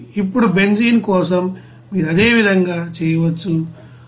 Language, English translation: Telugu, Now the for benzene similarly you can do it will be as 189